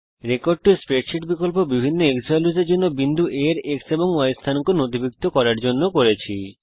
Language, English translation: Bengali, used the Record to Spreadsheet option to record the x and y coordinates of point A, for different xValue and b values